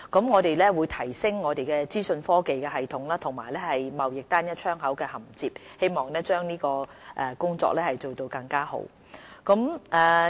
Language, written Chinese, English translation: Cantonese, 我們會提升資訊科技系統以及與"貿易單一窗口"銜接，希望將有關工作做得更好。, In order to do a better job of the relevant work we will improve our information technology systems so as to interface with the Trade Single Window